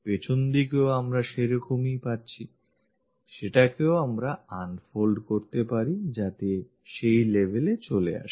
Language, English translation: Bengali, The back side also we have that, that also we can unfold it so that it comes to that level